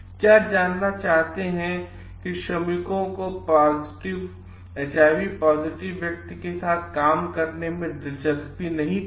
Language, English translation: Hindi, What you find like the workers were not interested to work with the person having HIV positive